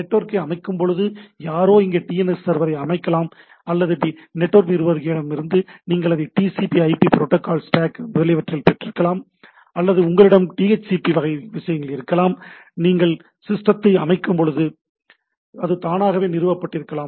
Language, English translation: Tamil, Either you while network configuration somebody has put the DNS server here or from the network administrator you got it in the TCP/IP protocol stack etcetera, or that automatically done if you have a DHCP type of things which when you put the systems it loads the things